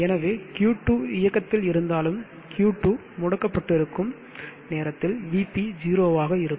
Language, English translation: Tamil, So even if Q2 is on we will have VP is 0 during that time when the Q2 is off also